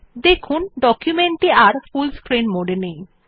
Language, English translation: Bengali, We see that the document exits the full screen mode